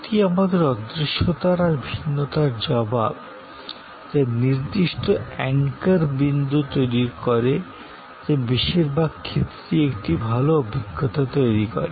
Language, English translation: Bengali, This is our response to the intangibility, the heterogeneity to create certain standard anchor points, which will in most cases produce a good experience